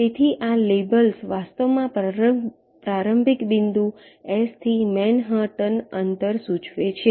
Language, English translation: Gujarati, so these labels indicate actually manhattan distance from the starting point s